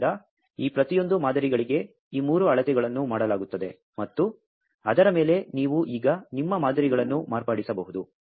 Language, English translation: Kannada, So, these three measurements are done for each of these samples and on top of that you can now modify your samples